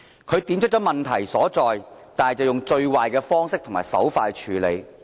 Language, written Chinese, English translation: Cantonese, 他點出問題所在，但以最壞的方式和手法來處理。, Despite having been able to point out the crux of the problems he handled them using the worse means possible